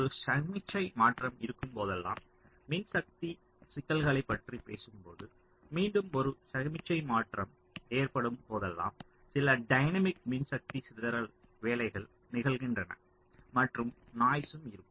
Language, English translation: Tamil, and whenever there is a signal transition we shall again be seeing this later when we talk about power issues that whenever there is a signal transition, some dynamic power dissipation work um occurs, ok, and also noise